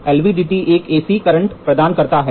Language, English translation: Hindi, T is an provides an AC current